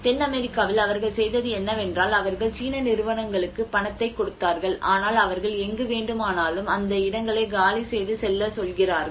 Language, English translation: Tamil, In South America what they did was they just gave the Chinese companies they gave the money to the people, and they just ask them to vacate the places wherever they want they go